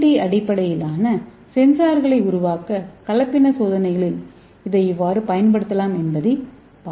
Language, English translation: Tamil, So let us see how we can use it hybridization experiments to make the CNT based sensors